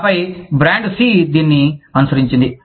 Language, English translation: Telugu, And then, brand C followed suit